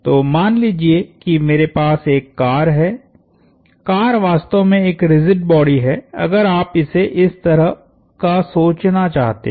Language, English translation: Hindi, So, let’ s say I have a car, a car is actually a rigid body at the mean, if you want to think of it as that